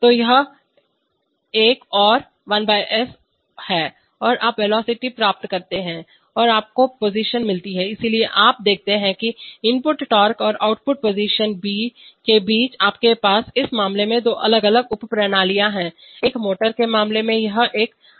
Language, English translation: Hindi, So this is another 1/s and you get velocity and you get position, so you see that the between input torque and output position, you have two different subsystems in this case, in the case of a motor it is an integral